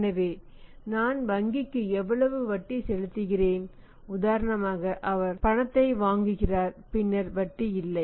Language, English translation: Tamil, So, how much interest I am paying to the bank for example he buys on cash then no interest, then there is no interest